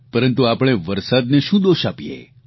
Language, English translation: Gujarati, But why should we blame the rains